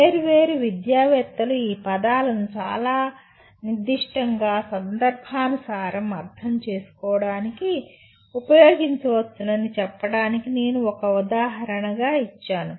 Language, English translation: Telugu, I gave that as an example to say different educationists may use these words to mean something very specific